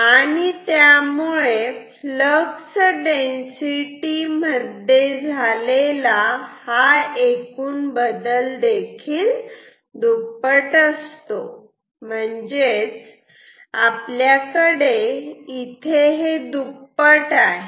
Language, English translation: Marathi, So, total change in flux density will be doubled